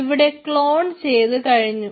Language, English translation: Malayalam, so the cloning has been completed